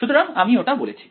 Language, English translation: Bengali, So, I call I said